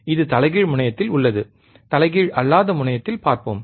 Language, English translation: Tamil, This is at inverting terminal, let us see at non inverting terminal,